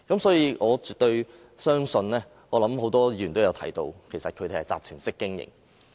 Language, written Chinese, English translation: Cantonese, 所以，我絕對相信——多位議員也提到——他們其實是集團式經營。, For this reason I strongly believe as mentioned by a number of Members that they actually operated as a syndicate